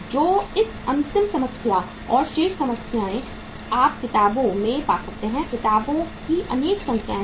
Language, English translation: Hindi, So this will be the last problem and remaining problems you can find in the books, number of books are there